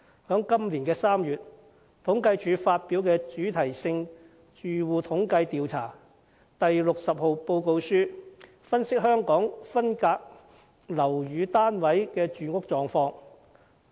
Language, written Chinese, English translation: Cantonese, 今年3月，政府統計處發表了《主題性住戶統計調查第60號報告書》，分析香港分間樓宇單位的住屋狀況。, In March this year the Census and Statistics Department published the Thematic Household Survey Report No . 60 to analyse the housing conditions of subdivided units in Hong Kong